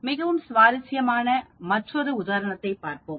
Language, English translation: Tamil, Let us look at another example, very interesting